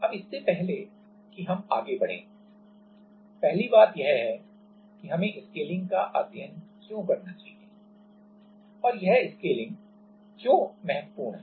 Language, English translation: Hindi, Now, before we go into that first thing is that why we should study the scaling and why this scaling is important